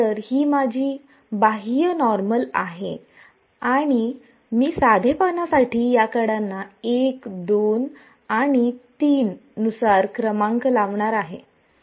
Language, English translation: Marathi, So, this is my n hat outward normal and I am just going to number these edges as 1, 2 and 3 for simplicity